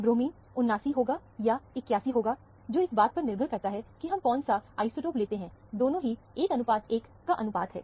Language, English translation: Hindi, A bromine will be, 79, or 81, depending upon which isotope we are referring to; both are 1 is to 1 ratio